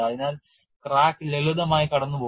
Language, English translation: Malayalam, So, cracks will simply zip through